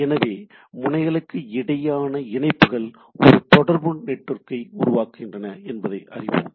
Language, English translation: Tamil, So, a collection of node and connections forms a communication network